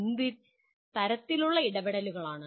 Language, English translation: Malayalam, What kind of interventions